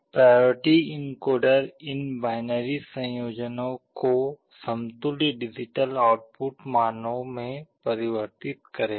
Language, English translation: Hindi, The priority encoder will be converting these binary combinations into equivalent digital output values